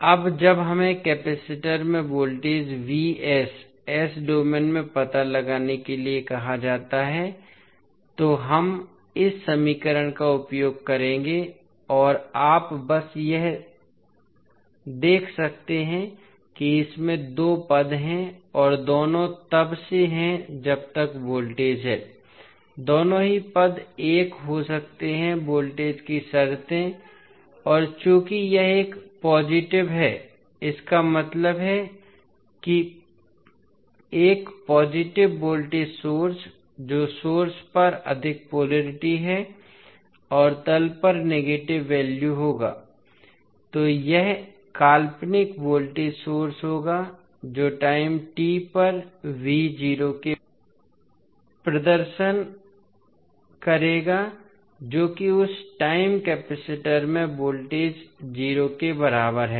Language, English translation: Hindi, Now, when we are asked to find out the voltage vs in s domain across the capacitor so, we will use this equation and you can simply see that it contains two terms and both are since it is the voltage so, both terms can be a voltage terms and since it is a positive it means that a positive voltage source that is plus polarity on the top and negative at the bottom will be the value so, this will be the fictitious voltage source that is v at time is equal to 0 by s which will represent the initial condition that is the voltage across capacitor at time is equal to 0